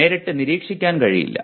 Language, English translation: Malayalam, Cannot directly be observed